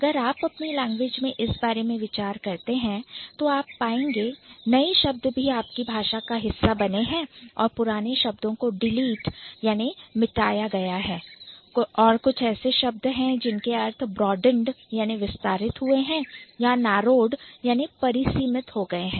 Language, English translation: Hindi, I am sure if you think about it in a for a while in your own language you might have noticed that new words have been a part of it, old words have been deleted and there are certain words whose meanings have been broadened or it has been narrowed down